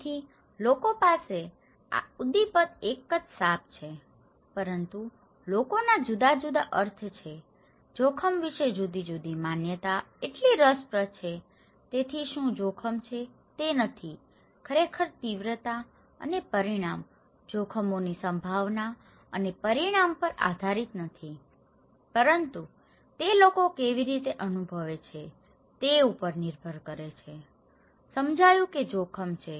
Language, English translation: Gujarati, So, people have this stimulus is the same is a snake but people have different meaning, different perceptions about the risk so interesting, so what risk is; itís not, does not really depend on the magnitude and consequence, the probability and consequence of hazards but it also depends how people perceive; perceived that hazard, okay